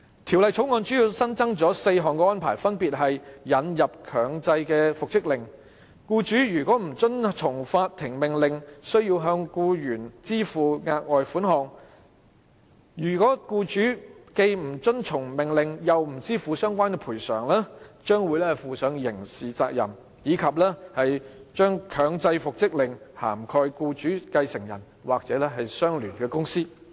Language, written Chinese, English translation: Cantonese, 《條例草案》主要新增4項安排，分別是：引入強制復職令；僱主若不遵從法庭命令，須向僱員支付額外款項；若僱主既不遵從命令，又不支付相關款項，將會負上刑事責任；以及將強制復職令涵蓋僱主繼承人或相聯公司。, The Bill has mainly provided for four new arrangements the introduction of the compulsory order for reinstatement; a further sum to be paid to the employee if the employer fails to comply with the court order; the employer will be held criminally liable if he neither complies with the court order nor pays the sum concerned to the employee; and the employers successor or associated company is covered by the compulsory order